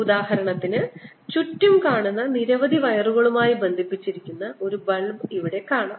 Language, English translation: Malayalam, for example, here you see this bulb which is connected to a lot of wires going around